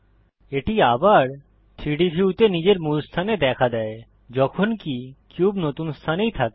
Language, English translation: Bengali, It snaps back to its original position in the 3D view while the cube remains in the new position